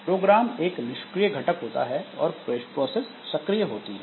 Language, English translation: Hindi, So, program is a passive entity, process is an active entity